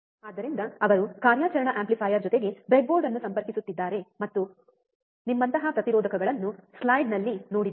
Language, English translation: Kannada, So, he will be connecting the breadboard along with the operational amplifier, and a resistors like you have seen in the in the slide